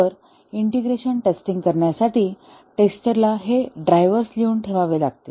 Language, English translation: Marathi, So, for performing integration testing, the tester has to write these drivers